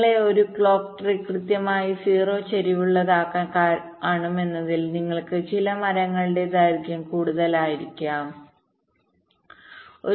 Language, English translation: Malayalam, because you see, to make a clock tree exactly zero skew, maybe you may have to make some tree length longer, like like